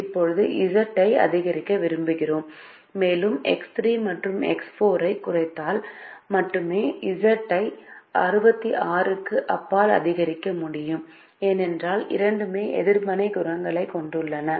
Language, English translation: Tamil, now we wish to maximize z further and we realize that z can be increased beyond sixty six only if we decrease x three and x four, because both have negative coefficients and if we decrease them they will become negative because they are at zero